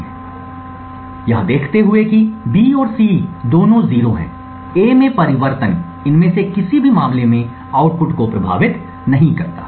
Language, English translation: Hindi, For example, given that B and C are both 0s, a change in A does not influence the output in any of these cases